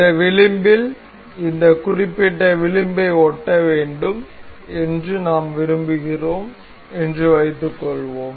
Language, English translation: Tamil, Suppose we want to we want this edge to stick on this particular edge